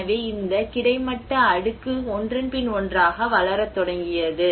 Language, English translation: Tamil, So, this is how this horizontal layer started developing one over the another